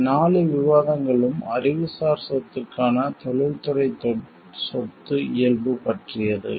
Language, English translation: Tamil, All these 4 discussions where regarding the industrial property of nature for the intellectual property